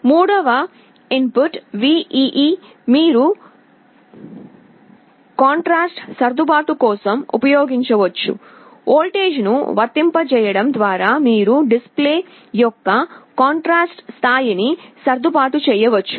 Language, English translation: Telugu, The third input VEE, this you can use for contrast adjustment, by applying a voltage you can adjust the contrast level of the display